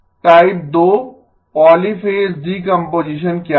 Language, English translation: Hindi, What was the type 2 polyphase decomposition